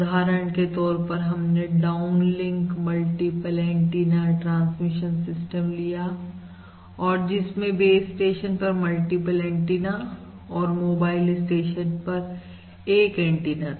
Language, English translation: Hindi, For instance, we were considering downlink ask, a multiple antenna transmission system, considering multiple antennas at the base station and a single antenna at the mobile